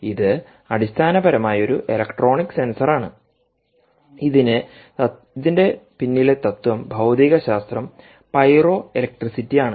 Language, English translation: Malayalam, ok, this is essentially a electronic sensor which is based on the principle, the physics behind this is pyroelectricity